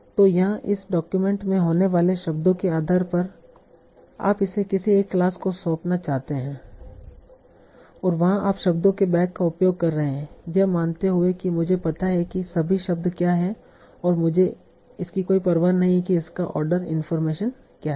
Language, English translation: Hindi, So here based on what are the words that are occurring in this document you want to assign it to one of these classes and there you are using the bag of words assumption that I know what are all the words that are there and I do not care about the order information